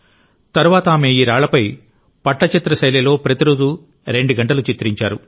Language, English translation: Telugu, Later, she painted these stones in Pattachitra style for two hours every day